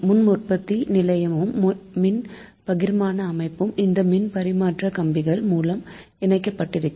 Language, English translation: Tamil, so generating station and distribution system are connected through transmission lines